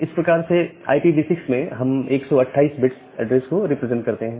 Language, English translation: Hindi, So, that way, we represent this 128 bit address in IPv6